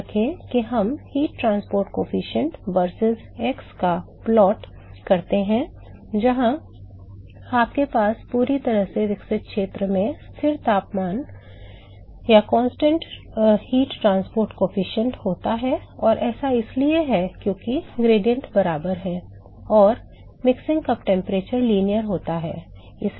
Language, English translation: Hindi, Remember we do this plot of heat transport coefficient v3rsus x where you have a constant heat transport coefficient in the fully developed region and that is because the gradients are equal and also the mixing cup temperature is linear